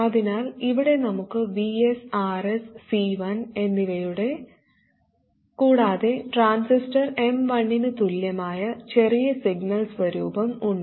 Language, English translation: Malayalam, So here we have Vs, RS and C1, and we have the small signal equivalent of the transistor M1